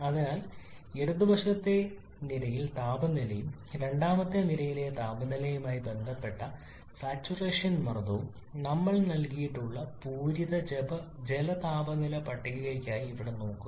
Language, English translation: Malayalam, So look at this here for the saturated water temperature table we have temperature given on the left hand side column and saturation pressure corresponding to the temperature in the second column